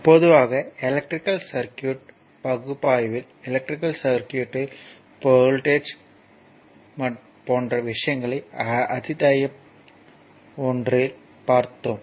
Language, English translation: Tamil, So, generally your in the in the electrical circuit analysis, right the concept such as current voltage and power in an electrical circuit have been we have studied in the chapter 1